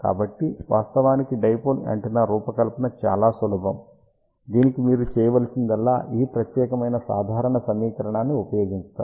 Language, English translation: Telugu, So, the design of dipole antenna actually is very simple, all you need to do it is use this particular simple equation